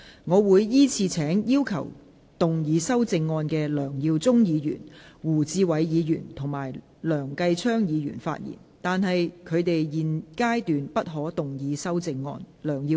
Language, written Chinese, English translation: Cantonese, 我會依次請要動議修正案的梁耀忠議員、胡志偉議員及梁繼昌議員發言；但他們在現階段不可動議修正案。, I will call upon Members who move the amendments to speak in the following order Mr LEUNG Yiu - chung Mr WU Chi - wai and Mr Kenneth LEUNG; but they may not move the amendments at this stage